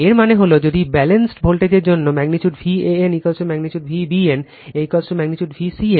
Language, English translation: Bengali, That means that means if for balanced voltage, magnitude V a n is equal to magnitude V b n is equal to magnitude V c n right